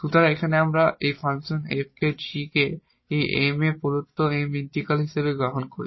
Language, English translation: Bengali, So, here we take this function g as the integral of this M the given M here such that